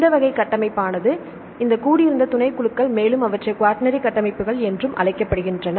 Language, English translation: Tamil, So, these type of structure this assembled subunits they are called a quaternary structures